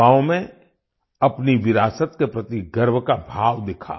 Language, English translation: Hindi, The youth displayed a sense of pride in their heritage